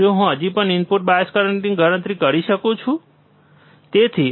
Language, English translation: Gujarati, Can I still calculate input bias current, right